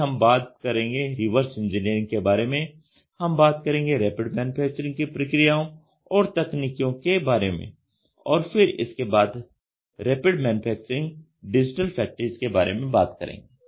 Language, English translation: Hindi, We will talk about reverse engineering we will talk about Rapid Manufacturing processes and technology, then we will talk about Rapid Manufacturing digital factories